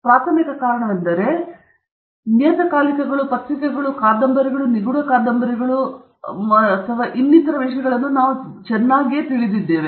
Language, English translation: Kannada, And one of the primary reasons for that is exactly what I showed you right at the beginning, is that we are very familiar with things like magazines, newspapers, novels, mystery novels, and so on